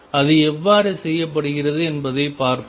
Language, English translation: Tamil, And let us see how it is done